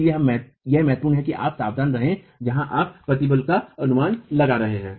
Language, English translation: Hindi, Therefore it is important for you to be careful where you are making the estimates of the stress